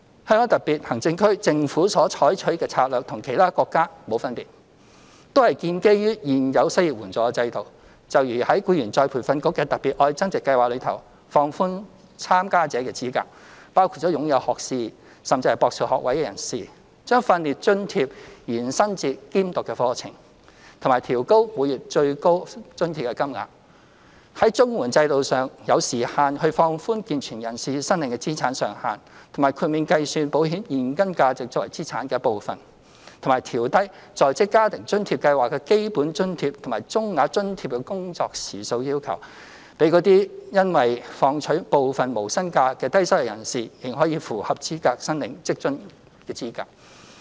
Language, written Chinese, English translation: Cantonese, 香港特別行政區政府所採取的策略與其他國家無分別，都是建基於現有失業援助制度，就如在再培訓局的"特別.愛增值"計劃中，放寬參加的資格至包括擁有學士甚至博士學位的人士、將訓練津貼延伸至兼讀課程，以及調高每月最高津貼金額；在綜援制度中，有時限地放寬健全人士申領的資產上限，以及豁免計算保險現金價值作為資產的一部分；及調低職津計劃的基本津貼及中額津貼的工作時數要求，讓因要放取部分無薪假的低收入人士仍可符合申領職津的資格。, The strategies adopted by the Government of the Hong Kong Special Administrative Region is no different from those of other countries in that they are also founded upon the existing unemployment assistance system . For instance under ERBs Love Upgrading Special Scheme the eligibility for application has been relaxed to cover trainees who have bachelor or even doctoral degrees trainees enrolled in part - time courses are also eligible for training allowance and the cap of the monthly training allowance has been increased; and under the CSSA system the asset limits for able - bodied applicants have been relaxed on a time - limited basis and the cash value of insurance policies will not be counted as assets . Besides the working hour requirements for the Basic Allowance and the Medium Allowance under the WFA Scheme have been reduced so that low - income earners who have to take some unpaid leave can still be eligible for WFA